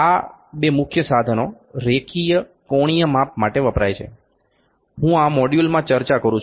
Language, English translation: Gujarati, These two major equipments for linear angular measurements, I am discussing in this module